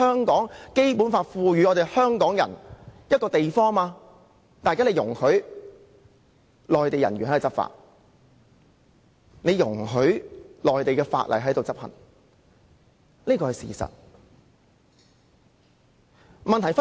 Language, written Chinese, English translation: Cantonese, 《基本法》賦予港人權力的範圍內，現在卻容許內地人員執法，並容許內地法例在香港適用。, Within an area where Hong Kong people have been conferred power under the Basic Law Mainland officers will be permitted to enforce the law and Mainland laws will be applicable in Hong Kong